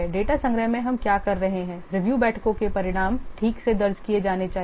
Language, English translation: Hindi, In data collection what we are doing, the results of the review meeting should be properly recorded